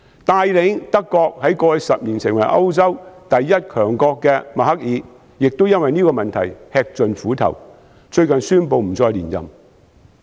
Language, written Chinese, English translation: Cantonese, 帶領德國在過去10年成為歐洲第一強國的默克爾亦因為這個問題吃盡苦頭，最近宣布不再連任。, Merkel who has led Germany to become the top power in Europe over the past decade is also plagued by this problem and has recently announced that she will not seek another term of office . To be honest every coin has two sides